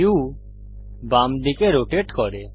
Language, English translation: Bengali, The view rotates to the left